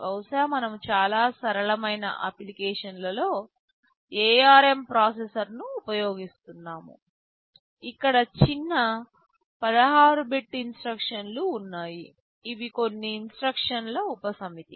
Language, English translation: Telugu, Maybe we are using the ARM processor in a very simple application, where smaller 16 bit instructions are there, some instruction subset